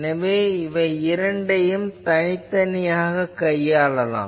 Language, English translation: Tamil, So, these two cases can be treated separately